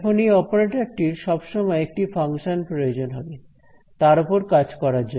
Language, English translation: Bengali, So, now, this operator is in need of some function to act on always